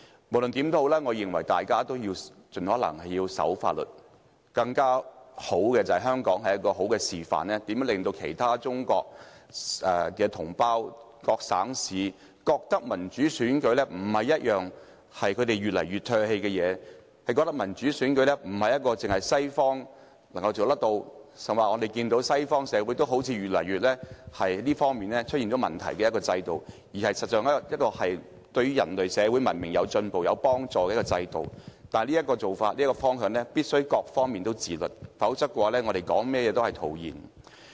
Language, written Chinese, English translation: Cantonese, 無論如何，我認為大家應該盡可能遵守法律，更理想的情況是香港可以起到好的示範作用，令中國各省市的同胞覺得民主選舉不應是他們越來越唾棄的事情，令他們覺得民主選舉不單是西方國家才能做到的事情——事實上，西方社會的選舉制度好像亦出現越來越多問題——令他們覺得民主選舉是有助人類社會文明進步的制度，但這種做法和方向必須各方面自律，否則說甚麼也是徒然。, In any case I think we should obey the law as far as possible . Ideally Hong Kong should serve as a good example for our compatriots in different provinces and cities of China so that they will stop resisting democratic elections or thinking that such elections can only happen in Western countries―in fact it seems that the electoral system in Western countries has been plagued by increasing problems―and that they may even consider the system of democratic election a tool to help our societies become more civilized and advanced . But for us to do so or move towards such a direction all parties concerned must exercise self - discipline